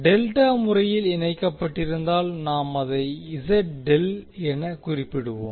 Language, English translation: Tamil, In case of delta connected we will specify as Z delta